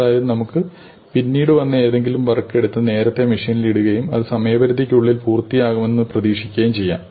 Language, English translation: Malayalam, So, you could take something which came later and put it earlier on the machine and hope to finish it within its deadline